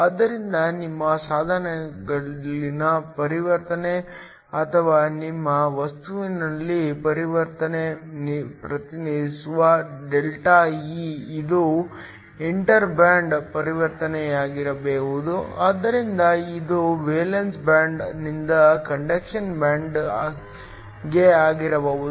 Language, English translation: Kannada, So, ΔE which represents the transition in your device or transition in your material it could be an inter band transition, so it could be from the valence band to the conduction band